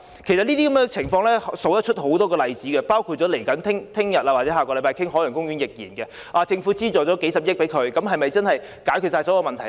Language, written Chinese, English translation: Cantonese, 這些情況還有很多例子，包括明天或下星期討論的海洋公園個案，政府提供數十億元的資助後，是否可以解決所有問題呢？, There are many more similar examples including the Ocean Park proposal which will be discussed tomorrow or next week . Can all the problems be solved after funding of several billion dollars has been obtained?